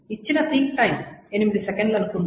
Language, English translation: Telugu, And suppose the seek time given is 8 seconds